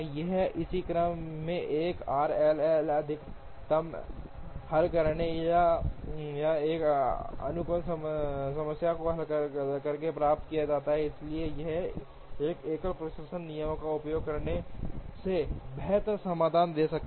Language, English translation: Hindi, Here, the corresponding sequence is obtained by solving a 1 r j L max or by solving an optimization problem, therefore it can give better solutions than using a single dispatching rule